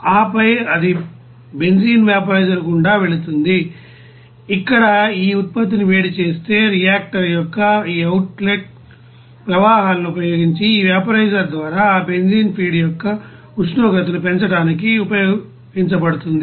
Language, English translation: Telugu, And then it will be passed through the you know benzene vaporizer where this you know heated up of this product will be used to you know raise the temperature of that you know benzene feed by this vaporizer using these outlet streams of reactor